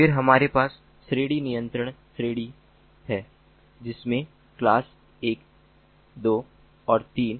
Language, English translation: Hindi, then we have category control category which has classes one, two and three